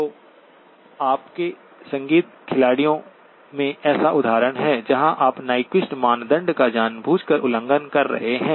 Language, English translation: Hindi, So there are examples like in your music players where you may be violating Nyquist criterion deliberately